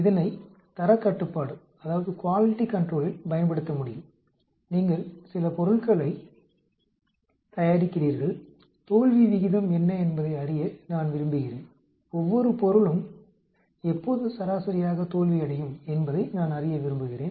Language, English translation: Tamil, It can be used in quality control, you are manufacturing some material I want to know what is the failure rate, I want to know when each material will fail on average